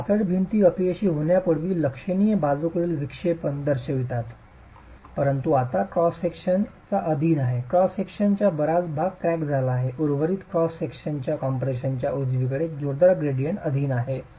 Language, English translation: Marathi, So slender walls show significant lateral deflection before failure but now the cross section is subjected to quite part of the cross section is cracked, the rest of the cross section is subjected to quite a strong gradient in compression, strong gradient in compressive strains and failure will be catastrophic